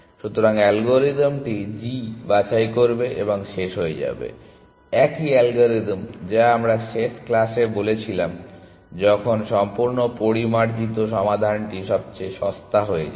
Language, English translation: Bengali, So, the algorithm will pick g and terminate, the same algorithm that we talked about in the last class when the completely refined solution is becomes a cheapest